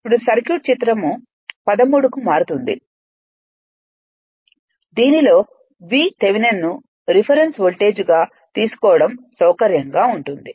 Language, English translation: Telugu, The circuit then reduces to figure 13 in which it is convenient to taken V Thevenin as the reference voltage